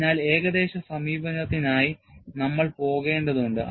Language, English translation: Malayalam, So, we need to go in for approximate approach